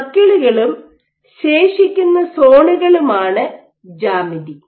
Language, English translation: Malayalam, So, geometry is were circles and the remaining zones